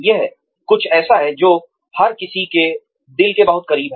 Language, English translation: Hindi, This is something, that is very close to everybody's heart